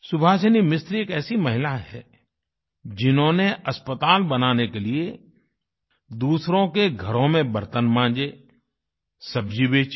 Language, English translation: Hindi, Subhasini Mistri is a woman who, in order to construct a hospital, cleaned utensils in the homes of others and also sold vegetables